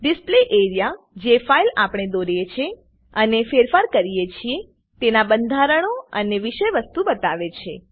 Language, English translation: Gujarati, Display area shows the structures and the contents of the file that we draw and edit